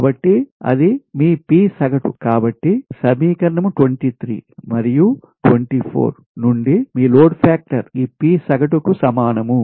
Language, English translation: Telugu, therefore, from equation twenty three and twenty four, we obtain that is, your load factor is equal to this p average